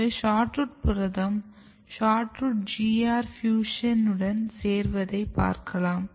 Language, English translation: Tamil, So, this is SHORTROOT protein complemented with SHORTROOT GR fusion